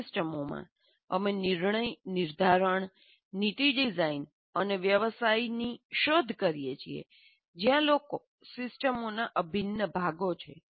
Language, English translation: Gujarati, So, in systems where you are modeling, you are exploring decision making, policy design, and in business, where people are integral parts of the systems